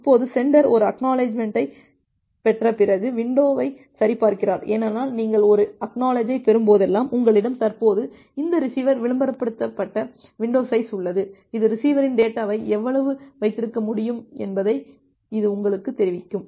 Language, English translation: Tamil, Now the sender it checks the window after receiving an ACK, because whenever you are receiving an ACK, with that you have this currently receiver advertised window size, which will tell you that what how much of the data the receiver can hold